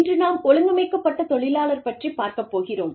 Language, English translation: Tamil, Today, we will talk about, organized labor